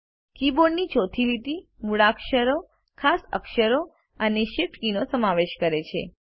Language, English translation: Gujarati, The fourth line of the keyboard comprises alphabets, special characters, and shift keys